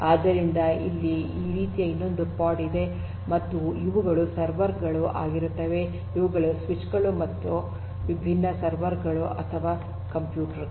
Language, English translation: Kannada, So, you will have another pod and these are your server so these are the, these are, these are the switches and these are your different servers or computers etcetera